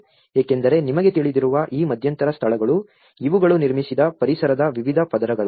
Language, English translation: Kannada, Because these intermediate spaces you know, these are the various layers of the built environment